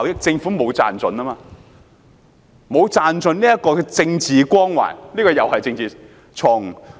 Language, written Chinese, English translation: Cantonese, 政府沒有賺盡政治光環，這又是政治錯誤。, The Government has not made the best out of the political aura which is yet another political mistake